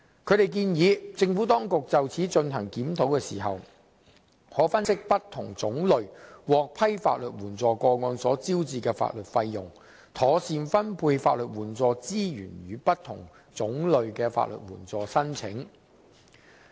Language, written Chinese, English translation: Cantonese, 他們建議政府當局就此進行檢討時，可分析不同種類獲批法律援助個案所招致的法律費用，妥善分配法律援助資源予不同種類的法律援助申請。, They suggest that in conducting the review the Administration may analyse the legal costs incurred in cases by categories to optimize the allocation of legal aid resources to applications under different categories